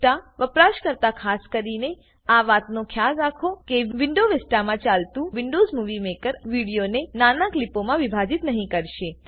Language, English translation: Gujarati, Vista users kindly note that Windows Movie Maker played in Windows Vista will not split the video into smaller clips